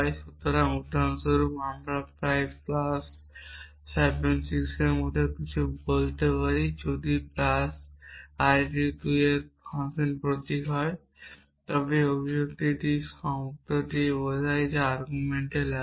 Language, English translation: Bengali, So, for example, I could say something like plus 7 6 if plus is a function symbol of arity 2 then this expression stands for the term which takes to arguments